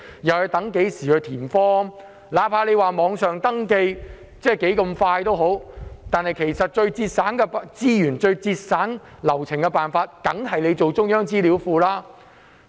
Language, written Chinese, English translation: Cantonese, 即使政府說網上登記很快捷，但最節省資源和流程的辦法，仍然是設立中央資料庫。, Although online registration is quick as the Government has so claimed the most efficient way in terms of resources and procedures is having a central database